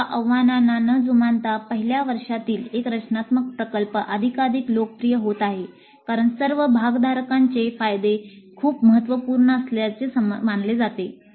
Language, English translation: Marathi, Despite these challenges, a design project in first year is becoming increasingly popular as the advantages are considered to be very significant by all the stakeholders